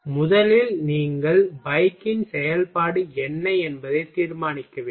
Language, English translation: Tamil, First you will have to decide what is a function of bike ok